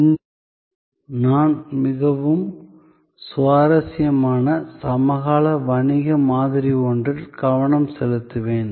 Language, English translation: Tamil, Today, I will focus on one of the quite interesting contemporary business model